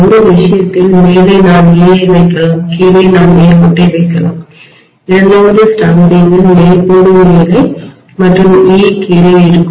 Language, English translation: Tamil, In one case on the top I can put the E at the bottom I can put the straight line and the second stamping will have the straight line at the top and E at the bottom